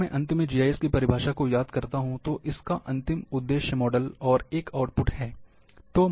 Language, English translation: Hindi, Just the ultimate aim, if I recall the definition of GIS, at the end it says, the model, an output